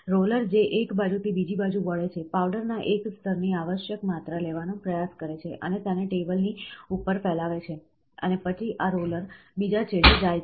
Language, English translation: Gujarati, So, the roller which rolls from one side to the other side, tries to the, tries to take the required quantity of a single layer of powder and spread it on top of a table, and then this roller goes to the other extreme end